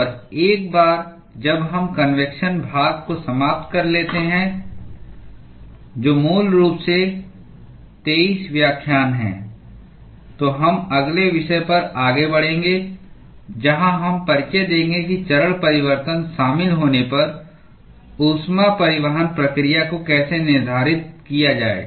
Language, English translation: Hindi, And once we finish the convection part, which is basically 23 lectures, we will move on to the next topic, where we would introduce how to quantify heat transport process when phase change is involved